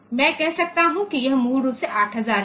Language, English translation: Hindi, So, I can say that this is basically 8000